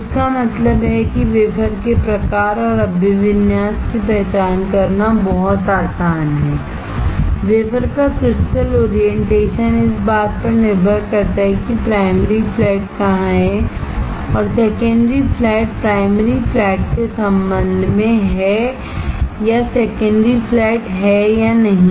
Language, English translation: Hindi, So, that means that it is very easy to identify the type of the wafer and the orientation; crystal orientation of the wafer depending on where the primary flat is and where the secondary flat is with respect to primary flat or whether secondary flat is there or not